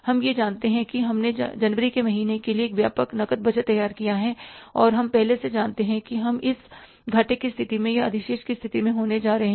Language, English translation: Hindi, We know it that we have prepared a comprehensive cash budget for the month of January and we know in advance we are going to be in this state of deficit or in the state of surplus